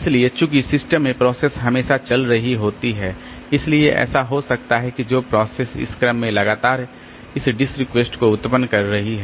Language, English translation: Hindi, So, since the processes are always running in the system, so it may so happen that the processes they are generating this disk requests continually in that order